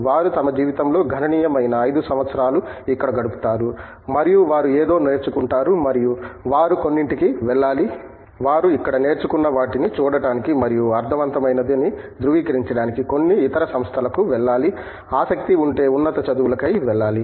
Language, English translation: Telugu, They spend substantial 5 years chunk of their life here and they learn something and then they must go for some, if they are interested in higher studies to some other institutions to see and verify what they have learnt here is meaningful